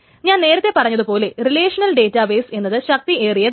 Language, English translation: Malayalam, The relational database, as I said earlier, is just too powerful